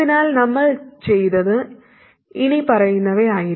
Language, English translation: Malayalam, So what we did was the following